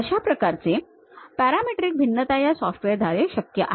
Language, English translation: Marathi, That kind of parametric variation is possible by this software